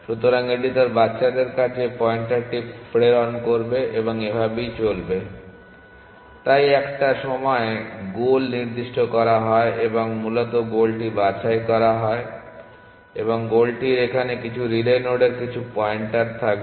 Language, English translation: Bengali, So, it will it will pass on the pointer to its children and so on, so at some point to the goal is picked essentially at some point the goal is picked and the goal will have some pointer to some relay node here